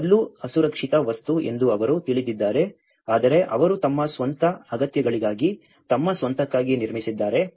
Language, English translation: Kannada, They know that they have, a stone is an unsafe material but they have built with their own for their own needs, for their own